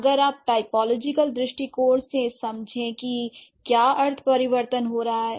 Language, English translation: Hindi, The, if you approach it from a typological understanding, so what is the semantic change happening